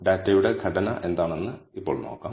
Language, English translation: Malayalam, Let us now see what the structure of the data is